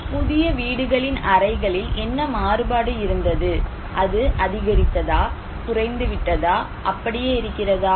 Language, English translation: Tamil, Now, what was the variation in the rooms in case of new houses, is it increased, decreased, remain same